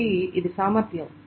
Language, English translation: Telugu, So this is the capacity